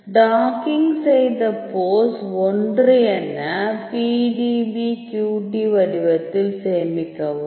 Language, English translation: Tamil, So, you can save as dockedpose 1 the PDBQT format